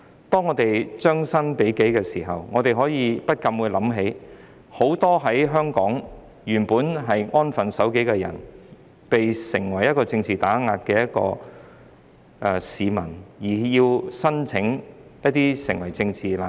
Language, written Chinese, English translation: Cantonese, 當我們將心比己時，不禁會想起很多在香港本來安分守己的人士，也遭受政治打壓，需要申請成為政治難民。, When we put ourselves in their shoes we cannot help but think of those law - abiding Hong Kong people who were subjected to political suppression and had to apply for asylum as political refugees